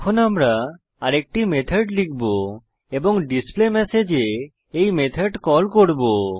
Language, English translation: Bengali, Now we will write another method and call this methd in displayMessage